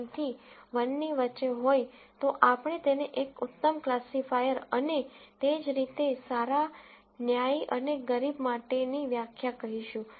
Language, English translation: Gujarati, 9 to 1, we would call that an excellent classifier and similarly, definitions for good, fair and poor